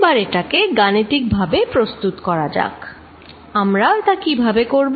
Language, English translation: Bengali, Let us now make it mathematically, how do we do that